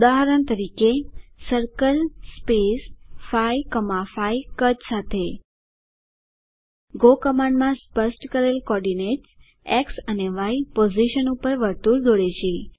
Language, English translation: Gujarati, For example: circle with size 5 draws a circle with size 5 At the co ordinates specified at X and Y positions in the go command